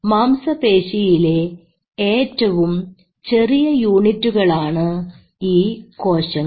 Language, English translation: Malayalam, So this is the smallest unit of muscle tissue